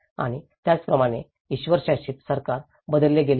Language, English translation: Marathi, And similarly, the theocratic government has been changed